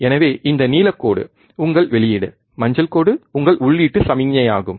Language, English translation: Tamil, So, this blue line is your output, the yellow line is your input signal